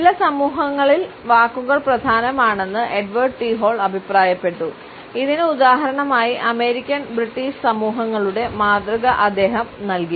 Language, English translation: Malayalam, Edward T Hall has commented that in certain societies and he has given the example of the American and British societies words are important